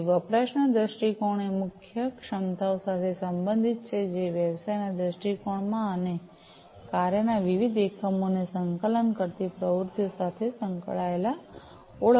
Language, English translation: Gujarati, So, usage viewpoints are related with the key capabilities that are identified in the business viewpoint and the activities that coordinate the different units of work